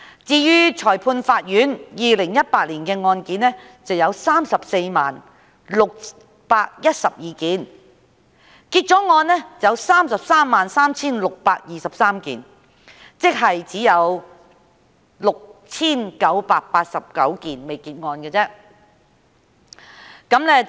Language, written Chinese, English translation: Cantonese, 至於裁判法院 ，2018 年的案件有 340,612 宗，結案的有 333,623 宗，即有 6,989 宗尚未結案。, As for the Magistrates Courts in 2018 the caseload stood at 340 612 of which 333 623 cases had been disposed of meaning that 6 989 cases have yet to be completed